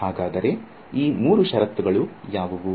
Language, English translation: Kannada, So, what are these three conditions